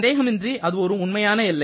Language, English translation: Tamil, So, you are having a real boundary